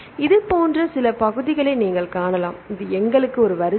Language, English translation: Tamil, So, you can see some regions which are similar right this is this one right we have the sequence